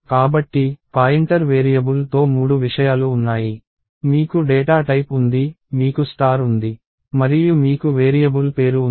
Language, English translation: Telugu, So, there are three things that go with the pointer variable, you have the data type, you have star and you have the variable name